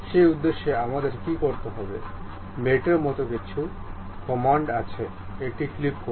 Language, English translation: Bengali, For that purpose, what we have to do, there is something like mate command, click this one